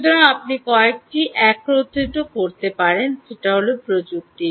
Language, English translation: Bengali, so you can combine several technologies, right